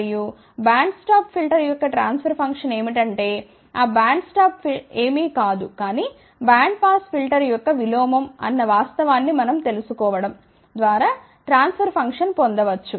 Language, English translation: Telugu, And, the transfer function of band stop filter can be obtained by knowing the fact, that band stop is nothing, but inverse of band pass filter